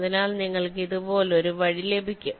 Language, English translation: Malayalam, so you get a path like this